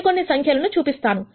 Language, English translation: Telugu, I will just show you some numbers